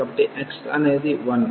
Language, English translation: Telugu, So, x is 4